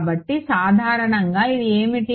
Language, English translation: Telugu, So, in general what is it